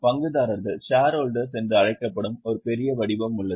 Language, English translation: Tamil, There is a large body known as shareholders